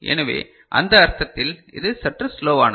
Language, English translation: Tamil, So, in that sense it is a bit slower ok